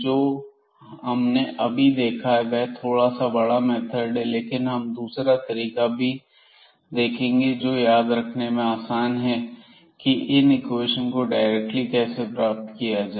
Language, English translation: Hindi, One way which we have just seen bit along bit long derivation, but now we will here write down in a more precise form which is very easy to remember and how to get these equations directly